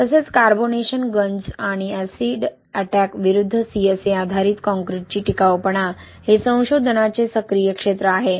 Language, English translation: Marathi, Also durability of CSA based concrete against carbonation, corrosion and acid attack is an active area of research